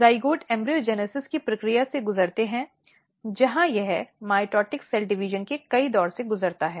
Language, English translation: Hindi, Zygote undergo the process of embryogenesis where it undergo several round of mitotic cell division